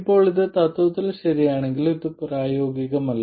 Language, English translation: Malayalam, Now this while okay in principle is simply not practical